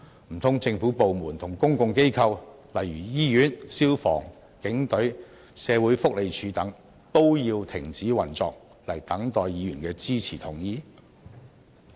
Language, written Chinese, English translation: Cantonese, 難道政府部門和公共機構，例如醫院、消防、警隊、社會福利署等，都要停止運作來等待議員的支持及同意？, Do government departments and public organizations eg . hospitals the Fire Services Department the Police and the Social Welfare Department etc . have to stop operating and wait for Members to give their support and consent?